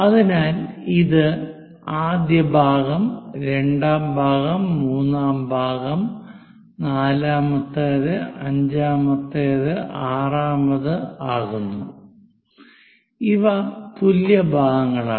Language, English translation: Malayalam, So, first part, second part, third part, fourth, fifth, sixth these are equal parts